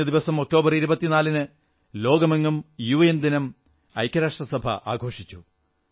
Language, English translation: Malayalam, United Nations Day was observed recently all over the world on the 24th of October